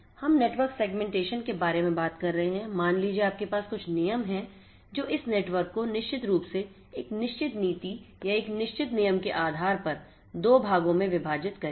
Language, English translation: Hindi, So, we are talking about in network segmentation having you know let us say that coming up with certain rule which will partition this network or segment this particular network into 2 dynamically based on a certain policy or a certain rule